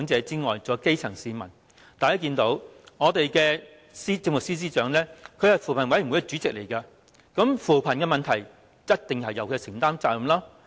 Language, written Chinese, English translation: Cantonese, 大家也看到，我們的政務司司長是扶貧委員會主席，關於扶貧的問題，必定應由司長承擔責任。, As we can all see the Chief Secretary for Administration as Chairperson of the Commission on Poverty must certainly take up the responsibility insofar as the issue of poverty alleviation is concerned